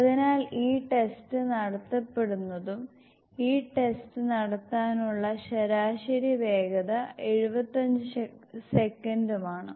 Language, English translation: Malayalam, So, that is why discussed this test is performed and average speed to perform this test is 75 seconds